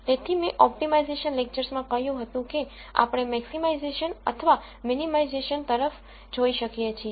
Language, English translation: Gujarati, So, I said in the optimization lectures we could look at maximizing or minimizing